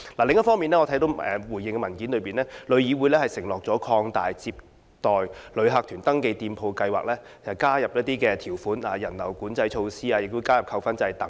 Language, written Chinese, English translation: Cantonese, 另一方面，我看到回應的文件指出，旅議會承諾會擴大有關接待旅客團登記店鋪的計劃，並加入一些條款和人流管制的措施，以及加入扣分制。, On the other hand I noted from the reply that TIC has pledged to expand the scheme concerning registered shops serving inbound tour groups by incorporating crowd control measures and a demerit points system into the scheme